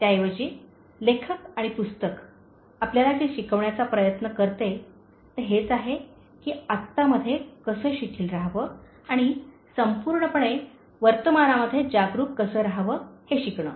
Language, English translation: Marathi, Instead, what the author and the book tries to teach you, is to learn how to relax in the NOW and live fully, mindful in the present